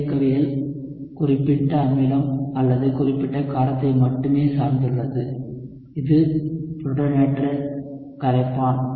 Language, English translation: Tamil, The kinetics depends only on specific acid or specific base, which is the protonated solvent